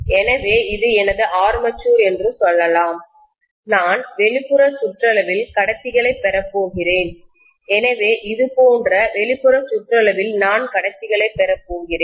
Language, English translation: Tamil, So let us say this is my armature, okay and I am going to have the conductors at the outer periphery, so I am going to have conductors all over in the outer periphery like this, right